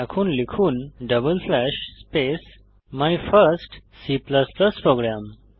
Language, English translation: Bengali, Type double slash // space My first C++ program